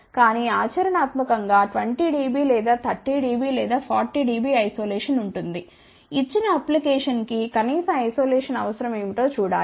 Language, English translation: Telugu, But, practically 20 dB or 30 dB or 40 dB isolation would be there one has to see what is the minimum isolation requirement for a given application